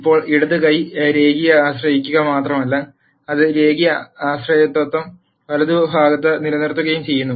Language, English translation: Malayalam, Now not only is the left hand side linearly dependent, the same linear dependence is also maintained on the right hand side